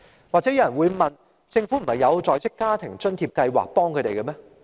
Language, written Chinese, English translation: Cantonese, 或許有人會問：政府不是已經為他們提供在職家庭津貼計劃嗎？, Some people may ask The Government has the Working Family Allowance WFA Scheme in place for them has it not?